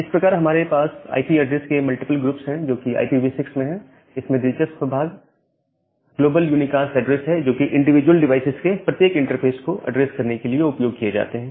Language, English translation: Hindi, So, that way we have this multiple group of IP addresses, which are there in IPv6 and the interesting part is this global unicast address which are used in addressing every interface of individual devices